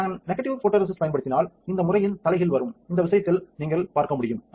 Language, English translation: Tamil, If I use a negative photoresist, the reverse of this pattern will come which you can see in this case ah